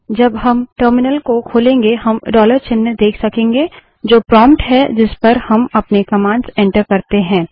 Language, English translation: Hindi, When we open the terminal we can see the dollar sign, which is the prompt at which we enter all our commands